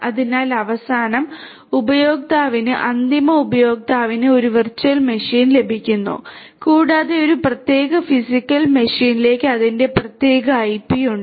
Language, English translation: Malayalam, So, basically you know to the end user end user gets a virtual machine and is mapped to a particular physical machine ha having it is own separate IP